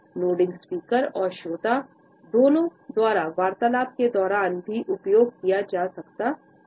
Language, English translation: Hindi, Nodding can also be used during a conversation both by the speaker and the listener